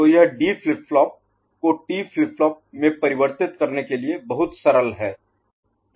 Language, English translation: Hindi, So, this is very simple for converting D flip flop to T flip flop ok